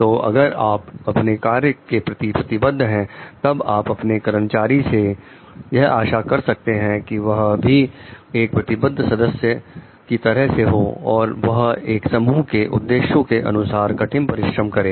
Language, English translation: Hindi, So, if you are committed to your own work then you can expect your employees to be committed members also so it talks of maybe working hard for your team s objectives